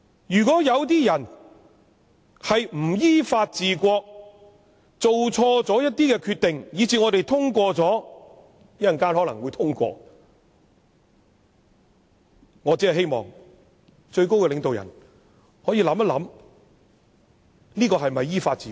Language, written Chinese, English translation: Cantonese, 如果有些人不依法治國，做錯決定，以致我們稍後可能會通過《條例草案》，我只希望最高領導人可以想想這是否依法治國。, If some people are not governing the country according to law and have made a wrong decision such that we may endorse the Bill in later I only hope that the highest leader can consider whether this is governing the country according to law